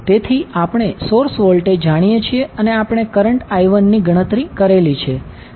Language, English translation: Gujarati, So, source voltage we know current I1 we have calculated